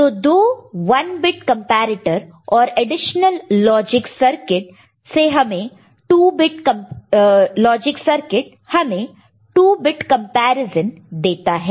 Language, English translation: Hindi, So, two 1 bit comparators and additional logic circuit will give me 2 bit comparison, ok